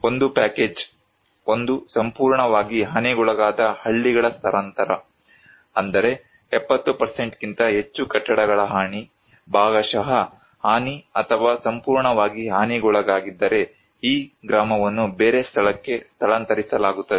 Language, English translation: Kannada, One; package one is that relocation of completely damaged villages like, if there was a damage of more than 70% buildings are affected partially damaged or fully damaged, then this village will be relocated to other place